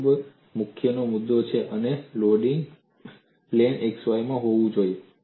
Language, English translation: Gujarati, The key point here is loading should be in the plane x y